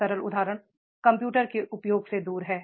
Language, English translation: Hindi, Simple example is keeping away from the use of computers